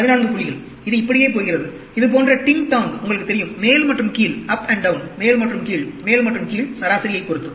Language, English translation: Tamil, 14 points, it is going like this, ting tong like this, you know, up and down, up and down, up and down, with respect to the mean